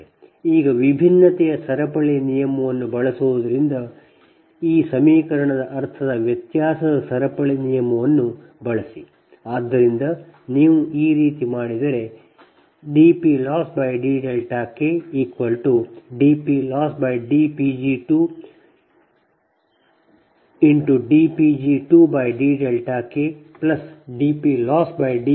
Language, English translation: Kannada, now using the chain rule of differentiation, now use the chain rule of differentiation